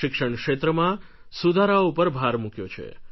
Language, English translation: Gujarati, They have emphasized on reforms in the educational set ups